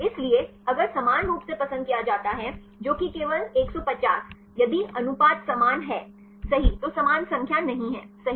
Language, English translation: Hindi, So, if there is equally preferred that is not just 150, 150 if the ratio is same right is not the exactly same number right